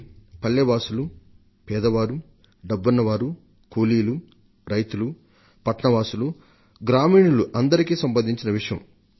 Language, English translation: Telugu, This concerns everybody the villages, the poor, the labourers, the farmers, the urban people, the country folk, the rich and the poor